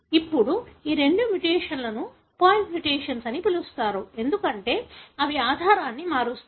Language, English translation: Telugu, Now, these two mutations are called as point mutations, because they change the base